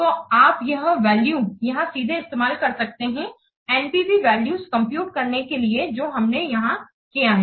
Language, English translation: Hindi, So these values you can use directly here to compute the NPV values that we have done here